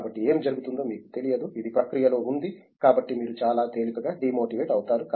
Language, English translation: Telugu, So, you don’t know what is happening, it’s as the a process going on; so you tend to get demotivated very easily